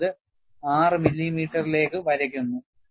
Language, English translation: Malayalam, 6 millimeter; then, it is drawn for 6 millimeter